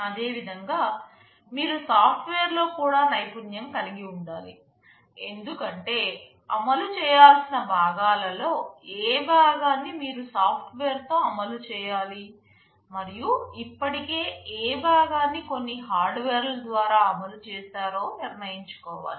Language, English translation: Telugu, Similarly, you also need to have expertise in software, because you need to decide which parts of the implementation you need to implement in software, and which part is already implemented by some hardware